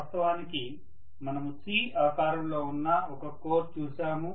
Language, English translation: Telugu, We had looked at a core which is actually c shaped